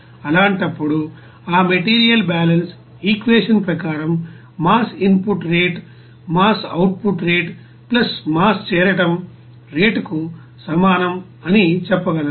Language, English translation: Telugu, In that case, according to that material balance equation, we can say that rate of mass input that will be equals to rate of mass output + rate of mass accumulation